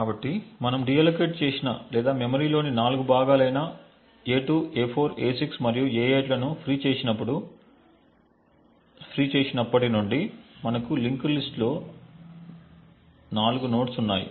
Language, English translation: Telugu, So, since we have deallocated or which since we have freed 4 chunks of memory a2, a4, a6 and a8 we have 4 nodes in the linked list